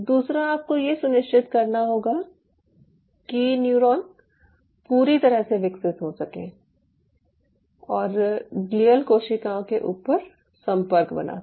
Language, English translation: Hindi, second, you have to ensure that the neuron can fully grow and make connectivity on a bed of glia